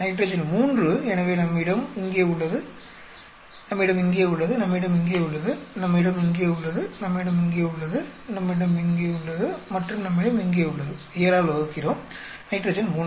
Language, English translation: Tamil, Nitrogen 3 so we have here, we have here, we have here, we have here, we have here, we have here and we have here, divide by 7 nitrogen 3